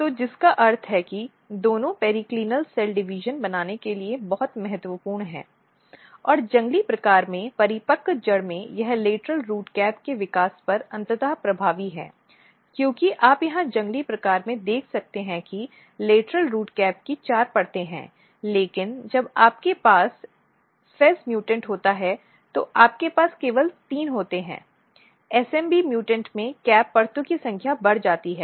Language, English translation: Hindi, So, which means that both are very important for making periclinal cell division and if you look in the mature root what happens that in wild type and this has the eventual effectly on the lateral root cap development as you can see here that in wild type there are four layers of the lateral root cap, but in when you have fez mutant you have only three whereas, in smb mutants the number of cap layers are increase